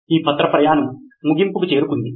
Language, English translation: Telugu, This leaf has reached the end of its journey